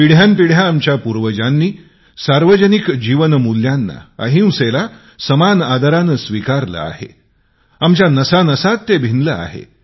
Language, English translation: Marathi, For centuries, our forefathers have imbibed community values, nonviolence, mutual respect these are inherent to us